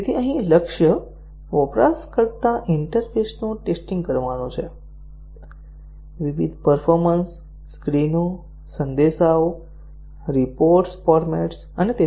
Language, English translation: Gujarati, So, here the target is to test the user interface; various display screens, messages, report formats and so on